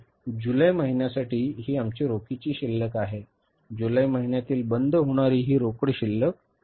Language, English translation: Marathi, So, this is the closing cash balance for the month of July